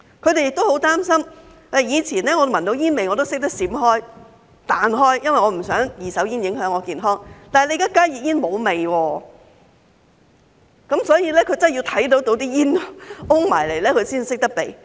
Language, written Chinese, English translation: Cantonese, 他們也十分擔心，以前如果聞到煙味，大家懂得閃避，不想被二手煙影響健康，但現在加熱煙沒有味道，大家真的要看到煙霧攻過來才懂得避開。, They are very worried about this . In the past if they smelled tobacco smoke they knew how to avoid it as second - hand smoke would affect their health . But now since HTPs do not have any odour people can only dodge the smoke when they see the smoke approaching